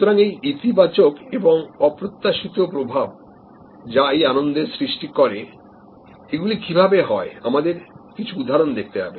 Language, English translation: Bengali, So, this positive affect and unexpected affect that creates the joy and we will have to look at some examples of how that happens